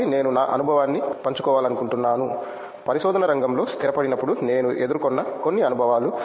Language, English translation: Telugu, So I would like to share my experience while, some experiences which I faced while settling in to the field of research